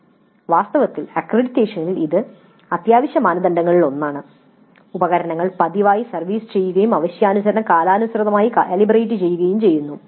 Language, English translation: Malayalam, In fact in the accreditation this is one of the essential criteria that the equipment is regularly serviced and calibrated periodically as required